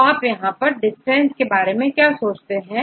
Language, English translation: Hindi, So, how do you think about the distance here